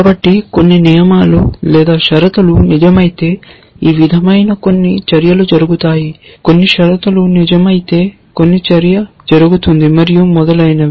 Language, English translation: Telugu, So, rules like this if some conditions are true then some action happens, if some conditions are true then some action happens and so on